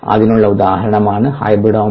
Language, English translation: Malayalam, ok, an example for that is hybridoma